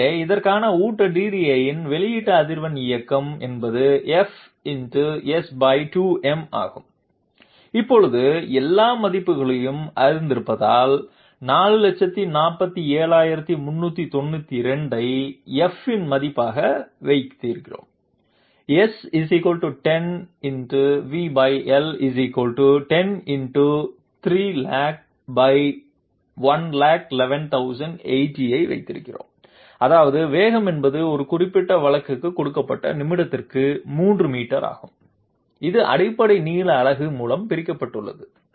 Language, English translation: Tamil, So output frequency of the feed DDA for this movement is F into using the new know same only one formula is there, F into S divided by 2 to the power m, since we know all the values now, we put 447392 as the value of F, we put 10intoV = 10into 300,000 that means velocity is 3 meters per minute given for a particular case that is divided by the basic length unit